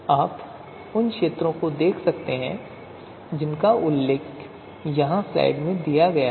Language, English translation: Hindi, So you can see the fields which are mentioned here in the slide